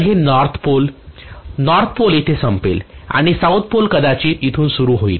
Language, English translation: Marathi, So this is let us say north pole, north pole ends here and south pole is probably going to start from here something like this